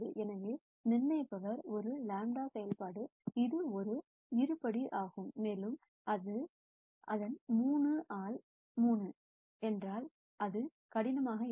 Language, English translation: Tamil, So, the determinant is a lambda function which is a quadratic, and if its 3 by 3 it will be cubic and so on